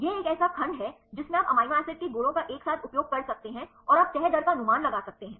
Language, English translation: Hindi, This is a one section you can use the amino acid properties combine together and you can predict the folding rate